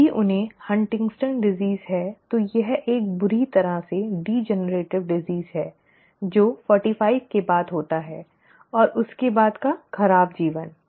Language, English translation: Hindi, If they have HuntingtonÕs disease then it is a badly degenerative disease that sets in after 45 and its bad life after that